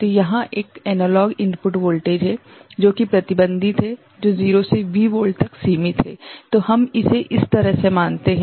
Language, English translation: Hindi, So, there is an analog input voltage, which is restricted to, which is restricted in the range 0 to V volt, let us consider it that way ok